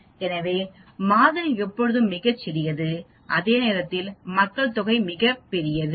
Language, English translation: Tamil, So sample is always very small whereas population is very very large